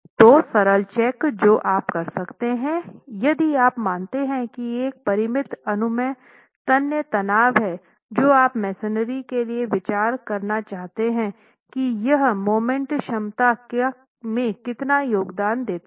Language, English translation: Hindi, So simple checks that you can do is if you assume there is a finite tensile permissible tensile stress that you want to consider for the masonry, how much does that contribute to the moment capacity